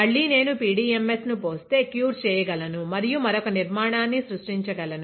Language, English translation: Telugu, Again if I pour, I can cure and I can create another structure